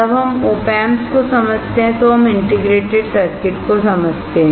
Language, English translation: Hindi, When we understand OP Amps, we understand integrated circuit